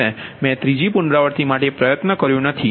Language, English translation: Gujarati, i did in try for third iteration